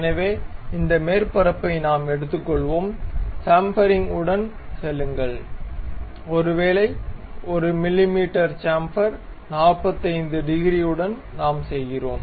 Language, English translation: Tamil, So, this surface we will take it, go with the chamfering, maybe 1 mm chamfer with 45 degrees we make